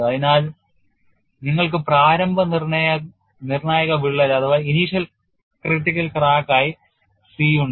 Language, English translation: Malayalam, So, you have initial critical crack as a c